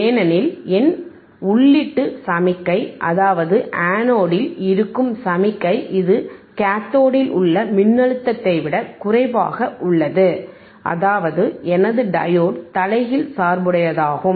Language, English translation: Tamil, Because my input signal, that is a signal or voltage at anode, is less than the voltage at cathode voltage at anode is less than the voltage at cathode ;, thatwhich means, my diode is reverse bias